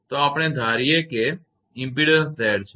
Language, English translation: Gujarati, So, we assume that impedance is Z